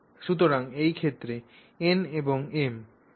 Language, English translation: Bengali, So, in this case N and M would be 5 and 2